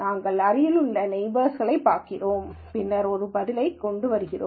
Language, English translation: Tamil, We are just going to look at the nearest neighbors and then come up with an answer